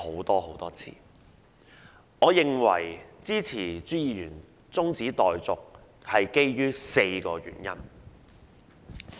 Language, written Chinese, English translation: Cantonese, 我基於4個原因支持朱議員的中止待續議案。, I support Mr CHUs adjournment motion for four reasons